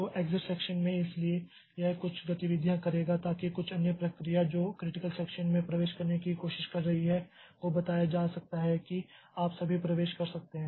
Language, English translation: Hindi, So, in the exit section, so it will do some activities so that some other process who is trying to enter into the critical section may be told that you can enter now